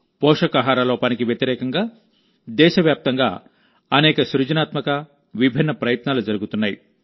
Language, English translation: Telugu, Many creative and diverse efforts are being made all over the country against malnutrition